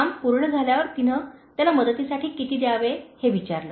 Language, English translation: Marathi, When the job was done, she asked how much she owed him for his help